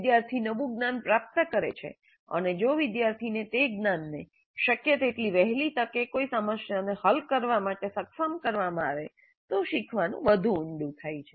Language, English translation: Gujarati, The student acquires the new knowledge and if the student is able to apply that knowledge to solve a problem as quickly as possible, the learning becomes deeper